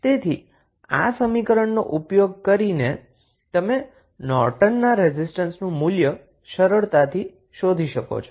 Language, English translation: Gujarati, So, using these equations, you can easily find out the value of Norton's resistance